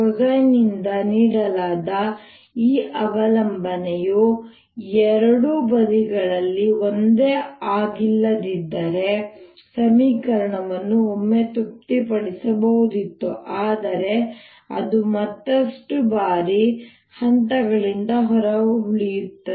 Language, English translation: Kannada, if this dependence, which is given by cosine whose, not the same on both sides although it could have the, the equation could have been satisfied once in a while, but it'll go out of phase further times